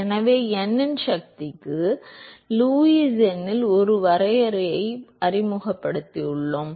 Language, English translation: Tamil, So, I have introduced a definition into Lewis number to the power of n